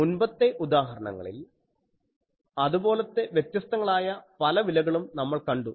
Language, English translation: Malayalam, And in the previous example, we have seen various those values that